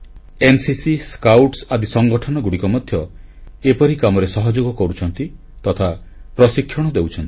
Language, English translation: Odia, Organisations like NCC and Scouts are also contributing in this task; they are getting trained too